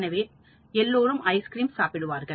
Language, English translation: Tamil, So, everybody eats ice cream